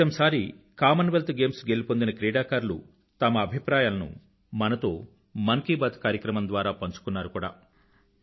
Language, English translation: Telugu, And in the last episode, our heroes of the Commonwealth Games shared with us their 'Mann Ki Baat', matters close to their hearts through this programme